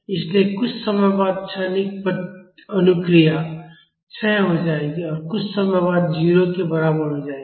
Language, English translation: Hindi, So, after some time the transient response will decay and will become equal to 0 after some time